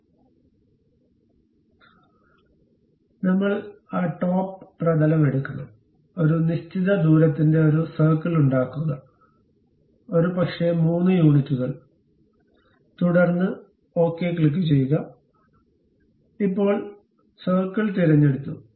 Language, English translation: Malayalam, So, we have to take that top plane; then make a circle of certain radius, maybe 3 units, then click ok, now circle has been selected